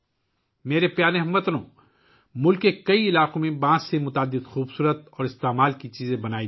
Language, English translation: Urdu, My dear countrymen, many beautiful and useful things are made from bamboo in many areas of the country